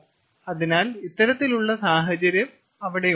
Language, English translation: Malayalam, so this kind of situations could also be there